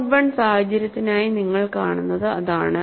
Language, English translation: Malayalam, And that is what you see for the mode 1 situation